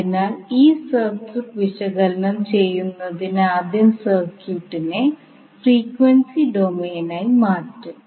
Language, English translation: Malayalam, So to analyze this particular circuit we will first transform the circuit into frequency domain